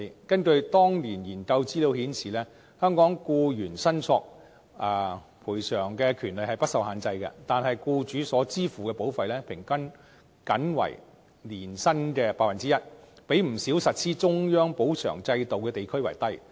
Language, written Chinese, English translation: Cantonese, 根據當年研究資料顯示，香港僱員申索賠償的權利不受限制，但僱主所支付的保費平均僅為年薪的 1%， 比不少實施中央補償制度的地區為低。, According to the study back then although Hong Kong employees have unrestricted access to claims for damages the premium paid by Hong Kong employers amounts to 1 % of the payroll on average which is lower than the premium rate in areas which operate central employees compensation insurance schemes